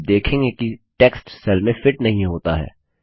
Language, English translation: Hindi, You see that the text doesnt fit into the cell